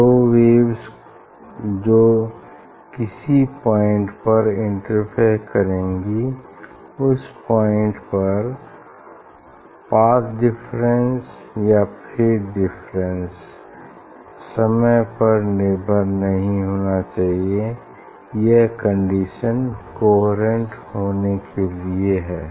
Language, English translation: Hindi, they are at that point their path difference or phase difference has to be independent of time, that is the condition for to be coherent